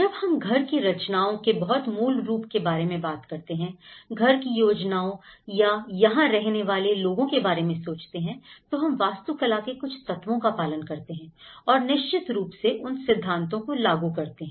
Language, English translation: Hindi, When we talk about very basic form of house compositions, planning of a house or a dwelling here, we follow certain elements of architecture and we follow certain principle; we apply the principles of okay